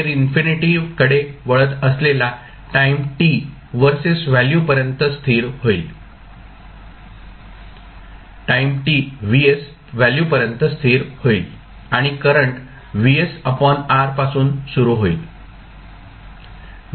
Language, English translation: Marathi, It will settle down to some value to the value vs at some time t that tends to infinity and the current: current will start from vs by r